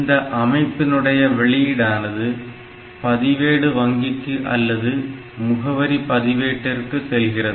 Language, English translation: Tamil, So, then its output can feed to some register bank or it might go to some address register